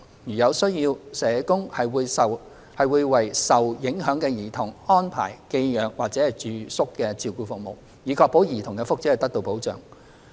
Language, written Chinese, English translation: Cantonese, 如有需要，社工會為受影響的兒童安排寄養或住宿照顧服務，以確保兒童的福祉得到保障。, Where necessary the social workers will arrange foster care or residential care services for the affected children to ensure that their well - being is protected